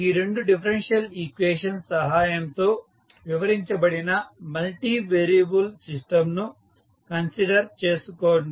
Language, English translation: Telugu, Consider a multivariable system which is described with the help of these two differential equations